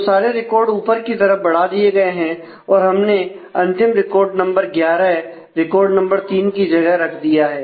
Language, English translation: Hindi, So, all records have moved up in this it is we have move the last record 11 in the place of record 3